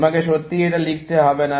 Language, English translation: Bengali, You do not have to really write this